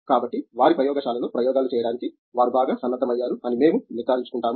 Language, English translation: Telugu, So, we make sure that, they are well equipped to carry out experiments in their own labs